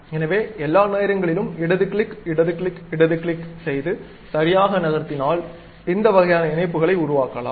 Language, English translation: Tamil, So, all the time left click, left click, left click, properly adjusting that has created this kind of links